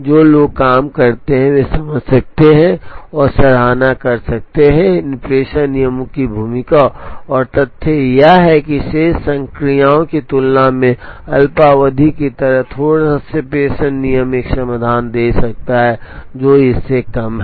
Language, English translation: Hindi, The people who do the job can understand and appreciate, the role of these dispatching rules, and the fact that a slightly involved dispatching rule like minimum of slack over remaining number of operations, can give a solution which is lesser than this